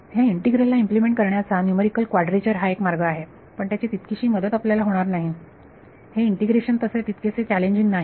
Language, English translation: Marathi, Numerical quadrature is a way of implementing this integral, but that is not gone help you this integration is not challenging